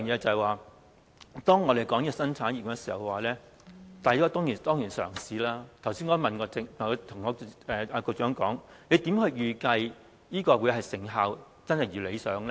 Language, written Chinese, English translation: Cantonese, 此外，當我們說新產業的時候，這當然是一種嘗試，我剛才也問局長，如何預計成效可以一如理想呢？, Besides when we are talking about a new industry this surely is a new attempt . I just asked the Secretary how to estimate whether the result can be up to expectation